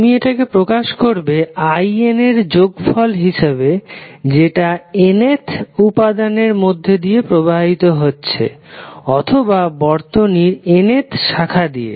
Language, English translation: Bengali, You will represent it like summation of in that is current flowing into nth element is nth basically we will say nth branch of the circuit